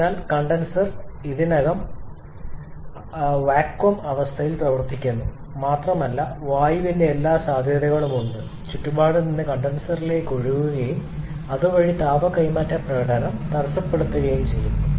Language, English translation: Malayalam, So, the condenser is already operating under vacuum condition and there is every possibility of air leaking from surrounding into the condenser and the hampering the heat transfer performance